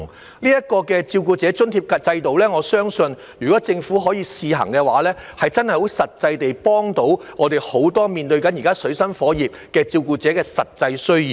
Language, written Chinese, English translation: Cantonese, 我相信，這個照顧者津貼制度若獲政府試行，真的可以幫到很多現正水深火熱的照顧者解決其實際需要。, I believe if the Government can introduce the pilot scheme of carer allowance it will really help many carers in dire straits to meet their actual needs